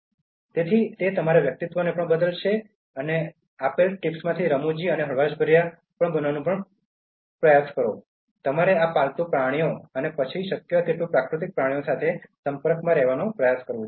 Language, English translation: Gujarati, So that also will change your personality, so remember like to be humorous and light hearted one of the tips given was that, you should try to interact with this pet animals and then natural creatures as much as possible